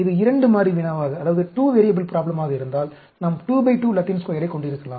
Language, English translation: Tamil, If it is a 2 variable problem, we can have a 2 by 2 Latin Square